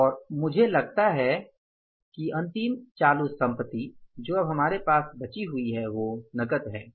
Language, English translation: Hindi, And I think the last current asset now left with us is the cash